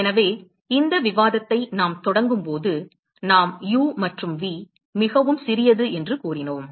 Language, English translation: Tamil, So, when we started this discussion we said that u and v are very small right